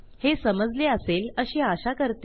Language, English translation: Marathi, Hopefully you have got this